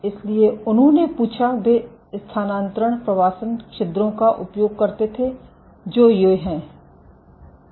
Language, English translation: Hindi, So, they asked, so they used transfer migration pores what are these